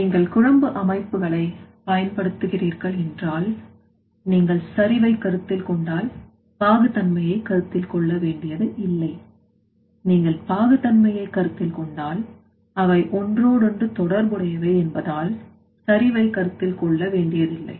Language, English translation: Tamil, If you are using that slurry systems, if you are considering concentration you need not to consider the viscosity if you are considering the viscosity you need to not to consider the concentration because they are interrelated